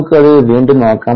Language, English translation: Malayalam, let us revisit that